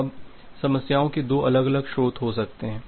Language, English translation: Hindi, Now, there can be two different source of problems